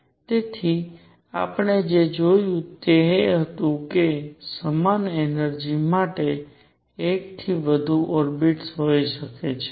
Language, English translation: Gujarati, So, what we saw was there could be more than one orbit for the same energy